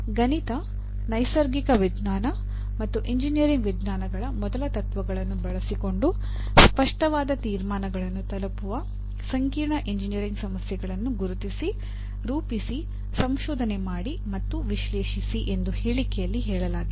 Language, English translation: Kannada, Here the statement says identify, formulate, research literature and analyze complex engineering problems reaching substantiated conclusions using first principles of mathematics, natural sciences and engineering sciences